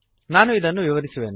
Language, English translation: Kannada, I will explain it